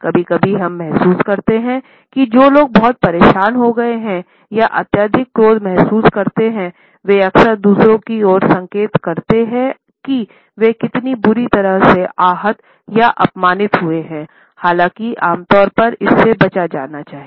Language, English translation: Hindi, Sometimes we feel that people who have been deeply upset or feel excessive anger often point towards others to indicate how badly they have been hurt or insulted; however, normally it should be avoided